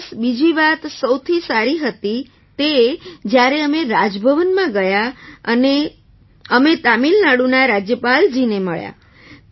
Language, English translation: Gujarati, Plus the second best thing was when we went to Raj Bhavan and met the Governor of Tamil Nadu